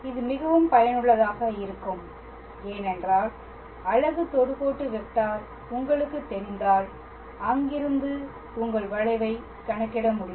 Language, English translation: Tamil, It is also very useful because if you know the unit tangent vector, then from there you can be able to calculate your curvature